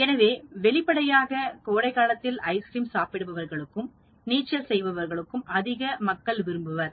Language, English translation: Tamil, We find more people eating ice cream in summer; we find more people swimming in summer